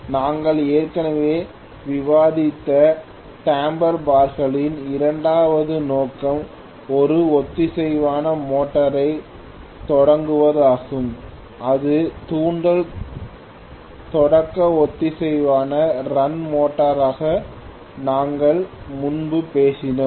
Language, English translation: Tamil, The second purpose of the damper bars which we discussed already is to start a synchronous motor, this we talked about earlier as induction start synchronous run motor if you may recall